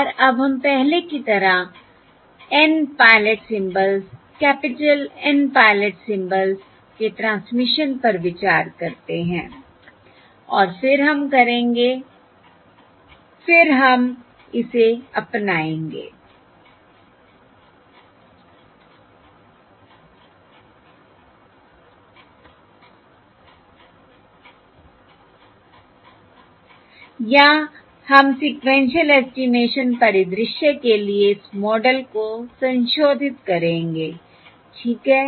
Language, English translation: Hindi, all right, And now let us consider the transmission of N pilot symbols, capital N pilot symbols similar to before, and then we will, and then we will adapt this or we will modify this model for the sequential estimation scenario